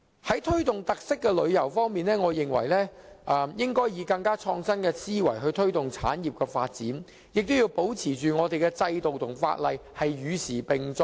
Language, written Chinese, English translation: Cantonese, 在推動特色旅遊方面，我認為當局應以更創新的思維推動產業發展，亦要保持我們的制度和法例與時並進。, Speaking of promoting featured tourism I think the authorities should promote the industrys development with a more innovative mindset and keep our systems and legislation abreast of the times